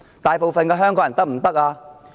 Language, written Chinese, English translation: Cantonese, 大部分香港人可以嗎？, What about the majority of Hongkongers